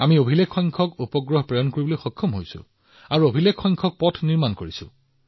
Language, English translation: Assamese, We are also launching record satellites and constructing record roads too